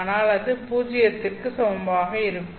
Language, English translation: Tamil, Therefore, this term will be equal to zero